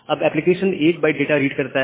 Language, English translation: Hindi, Sender will send only 1 byte of data